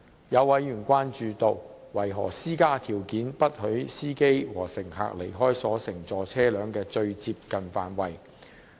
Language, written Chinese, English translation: Cantonese, 有委員詢問，當局為何施加條件，不許司機和乘客離開所乘坐車輛的"最接近範圍"。, Some members enquired about the reason why the authorities should impose conditions to prohibit drivers and passengers from leaving the immediate vicinity of their vehicles